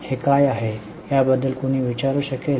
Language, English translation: Marathi, Can somebody think of it what it is